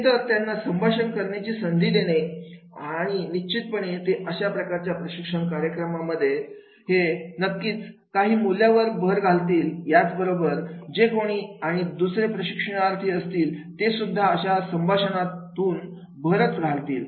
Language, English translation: Marathi, So give them the opportunity to interact, if we give them opportunity to interact and then definitely we can add the value to our training programs in addition to whatever the other trainees are there, they will also contribute